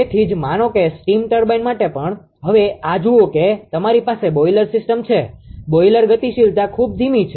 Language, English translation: Gujarati, So, that is why that suppose for a steam turbine also, now look at this that ah it is you have a boiler boiler system, boiler dynamics is very slow